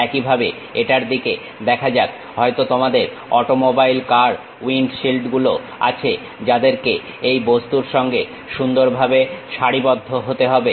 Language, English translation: Bengali, Similarly, let us look at this, maybe you have an automobile car windshields have to be nicely aligned with the object